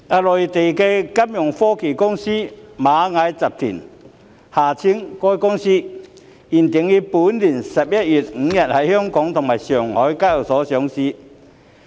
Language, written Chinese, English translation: Cantonese, 內地金融科技公司螞蟻集團原定於本年11月5日在香港及上海的交易所同步上市。, Ant Group a Mainland financial technology fintech company was originally scheduled to be dually listed on the stock exchanges in Hong Kong and Shanghai on 5 November this year